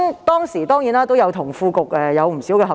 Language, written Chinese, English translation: Cantonese, 當時，我當然與副局長有不少合作。, At the time I of course had much opportunity to work with the Under Secretary